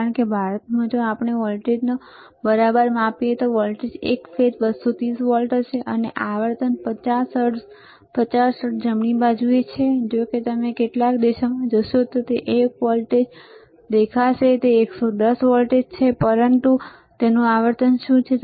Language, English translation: Gujarati, Because in India, right if we measure the voltage the voltage would be single phase 230 volts and the frequency is 50 hertz, 50 hertz right; however, if you go to some countries, you will also see a voltage which is 110 volts, but in that what is the frequency